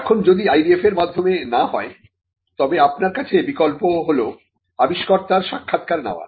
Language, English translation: Bengali, Now, if not through an IDF, then your option is to interview the inventor